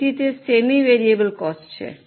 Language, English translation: Gujarati, That is why it is a semi variable cost